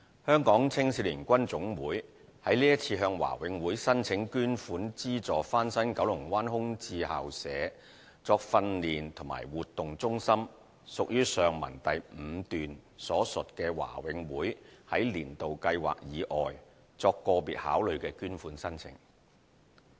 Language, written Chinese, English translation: Cantonese, 香港青少年軍總會是次向華永會申請捐款資助翻新九龍灣空置校舍作訓練及活動中心，屬於上文第五段所述華永會在"年度計劃"以外作個別考慮的捐款申請。, The application submitted by the Hong Kong Army Cadets Association HKACA to renovate the vacant school premises in Kowloon Bay as training and activity centre was one of the applications requiring individual considerations of BMCPC outside the annual donation schemes as described in paragraph 5 above